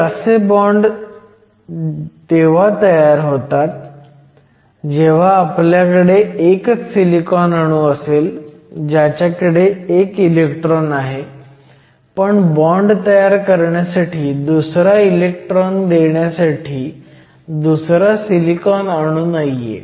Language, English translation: Marathi, Dangling bonds are formed when we have one silicon atom which has one electron, but there is no opposite silicon atom to supply another electron to form the bond